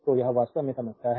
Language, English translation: Hindi, So, this is the problem actually